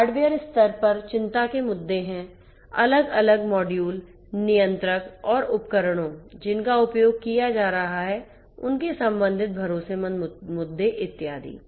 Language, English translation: Hindi, At the hardware level the issues of concern are the different modules, the controllers and the in devices that are being used and their corresponding trust issues and so on